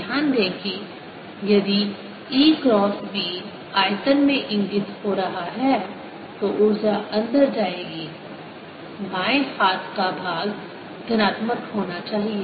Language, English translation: Hindi, notice that if e cross b is pointing into the volume, energy will be going in the left hand side should be positive